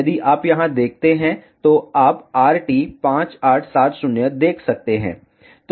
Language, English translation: Hindi, If you see here, you can see RT5870